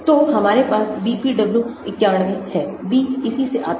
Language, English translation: Hindi, So, we have BPW 91, B comes from this